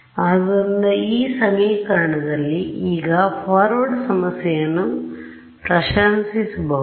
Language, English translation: Kannada, So, in this equation, now you can appreciate the forward problem